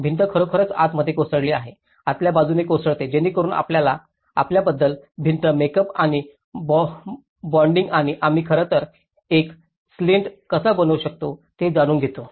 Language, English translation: Marathi, The wall has actually collapsed inside, the inward collapse, so that actually talks about you know the wall makeup and bonding and even how we can actually make a slant